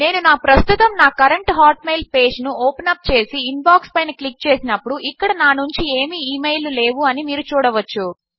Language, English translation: Telugu, You can see when I open up my current hotmail page and click on Inbox, there are no emails here from me